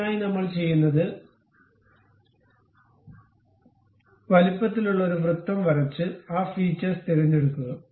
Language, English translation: Malayalam, For that purpose what we do is we go draw a circle of arbitrary size and pick that one go to features